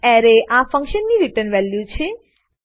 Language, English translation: Gujarati, The return value of this function is an Array